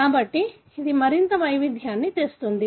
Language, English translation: Telugu, So, this brings in more variation